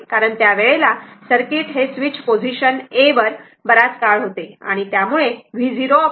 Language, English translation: Marathi, Because at that times this circuit this ah your switch was in position a for long time